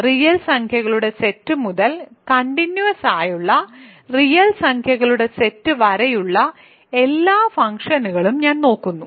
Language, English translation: Malayalam, So, I am looking at all functions from the set of real numbers to set of real numbers that are continuous